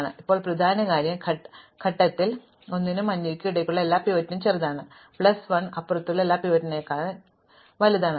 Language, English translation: Malayalam, But, now the important thing is that at this point everything between l and yellow is smaller than the pivot, everything beyond yellow plus 1 up to r is bigger than the pivot